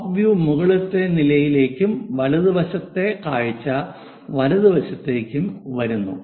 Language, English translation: Malayalam, top view goes to top level and right side view comes to right hand side